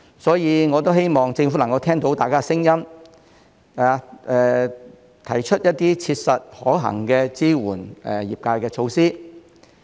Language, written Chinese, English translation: Cantonese, 所以，我希望政府能夠聽到大家的聲音，提出一些切實可行支援業界的措施。, Therefore I hope the Government will listen to the views of Members and propose some practicable measures to support the industries